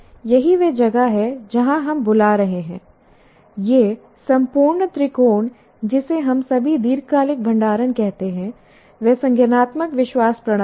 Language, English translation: Hindi, This entire, this triangle is what we call all the long term storage is a cognitive belief system